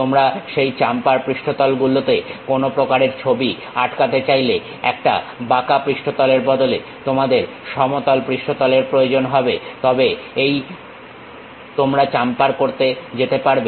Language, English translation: Bengali, You want to stick some kind of pictures on that chamfer surfaces so you require flat surface rather than a curved surface, then you go with that chamfering